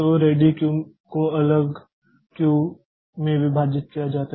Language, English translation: Hindi, So, the ready queue is partitioned into separate queue